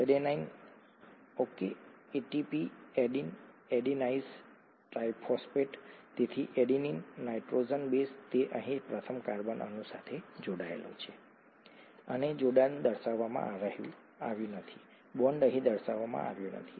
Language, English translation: Gujarati, The adenine, okay, ATP, adenosine triphosphate, so the adenine, nitrogenous base it is attached to the first carbon atom here and the attachment is not shown, the bond is not shown here